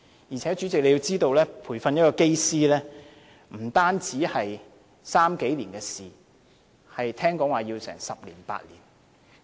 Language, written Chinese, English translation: Cantonese, 而且，主席，要知道培訓一位機師不單是3年以上的事情，聽說也要8至10年。, Besides President we have to know that it takes not only three years but 8 to 10 years to train up a pilot